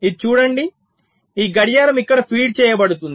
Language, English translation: Telugu, see this: this clock is being fed here